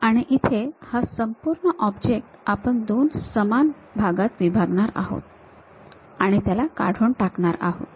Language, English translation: Marathi, And, here the entire object we are slicing it into two equal parts and remove it